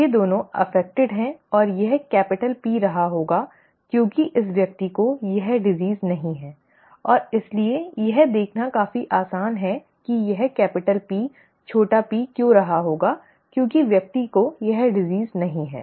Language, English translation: Hindi, These both are affected and this must have been capital P because this person does not have the disease and therefore it is quite easy to see why this mustÉ must have also been capital P small p because the person does not have the disease